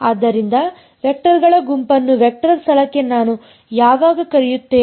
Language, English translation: Kannada, So, when will I call the set of vectors a basis for a vector space